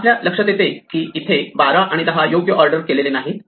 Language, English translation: Marathi, We notice that 12 and 10 are not correctly ordered